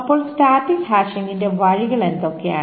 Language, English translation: Malayalam, So what are the ways of static hashing